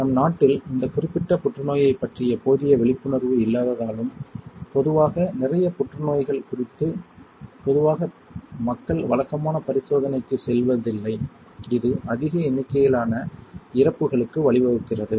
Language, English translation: Tamil, In our country because of the not enough awareness about this particular cancer and in general about lot of cancer generally people do not go for routine check up and that is leads to the higher number of death